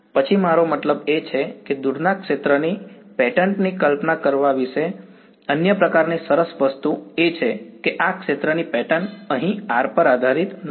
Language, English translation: Gujarati, Then, I mean the other sort of nice thing about visualizing far field patterns is that this field pattern here does not depend on r